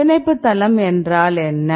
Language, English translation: Tamil, So, then what is a binding site